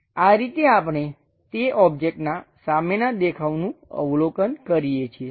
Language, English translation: Gujarati, This is the way we observe that front view of that object